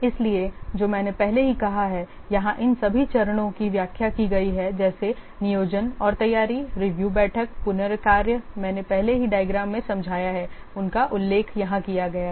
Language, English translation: Hindi, So, what I have already told that has been explained here all the stages like planning and this preparation review meeting rework I have already explained in the diagram they have been mentioned here